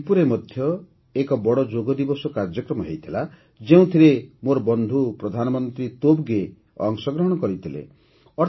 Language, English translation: Odia, A grand Yoga Day program was also organized in Thimpu, Bhutan, in which my friend Prime Minister Tobgay also participated